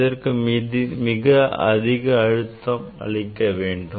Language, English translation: Tamil, you have to apply very high voltage